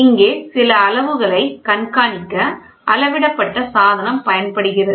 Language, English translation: Tamil, Here the measured device is used for keep track of some quantities monitor